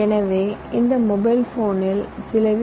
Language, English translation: Tamil, so in this mobile phone we have some v